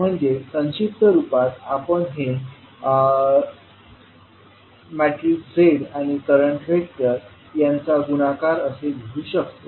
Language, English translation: Marathi, We can write in short form as Z matrix and current vector